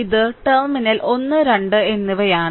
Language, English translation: Malayalam, So, this is terminal 1 and 2